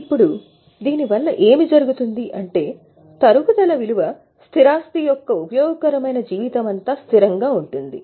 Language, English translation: Telugu, Now what happens due to this is the depreciation remains constant throughout the useful life